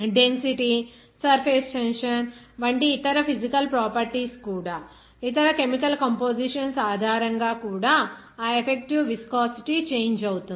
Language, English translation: Telugu, Even other physical properties like density, surface tension, even you can say that other chemical compositions based on which that effective viscosity will be changed there